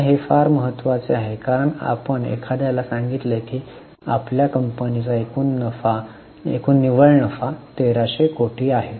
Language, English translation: Marathi, Now this is very important because if you tell somebody that total net profit of our company is, let us say, 1,300 crores